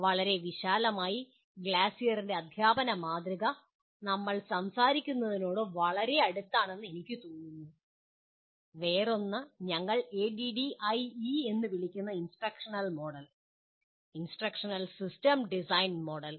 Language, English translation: Malayalam, So broadly I feel the Glasser’s model of teaching comes pretty close to what we are talking about the other one called instructional model, instructional system design model what we call ADDIE